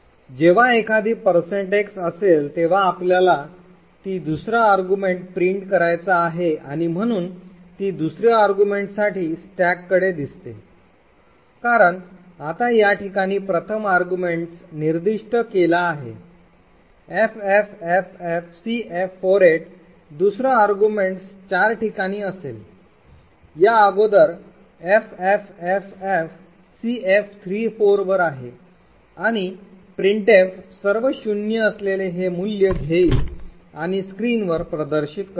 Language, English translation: Marathi, So when there is a %x it expects that you want to print the second argument to printf and therefore it looks to the stack for the second argument, now since the first argument is specified at this location ffffcf48 the second argument would be four locations ahead of this that is at ffffcf34 and printf would pick up this value which is all zeroes and display it on the screen